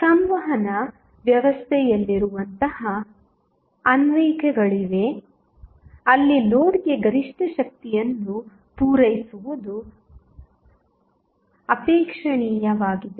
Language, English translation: Kannada, So, there are such applications such as those in communication system, where it is desirable to supply maximum power to the load